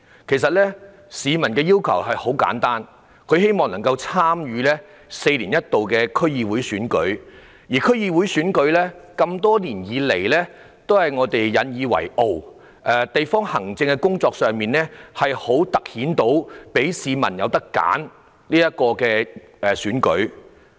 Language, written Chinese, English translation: Cantonese, 其實，市民的要求很簡單，他們希望能夠參與這次4年一度的區議會選舉，因為這項選舉多年來都是大家引以為傲，可以在地方行政工作上凸顯市民有選擇的選舉。, In fact the demand of the people is very simple . They wish to take part in the coming DC Election which is held once every four years as this is not only an election we have taken pride in for many years but also highlights the peoples right to choose in district administration work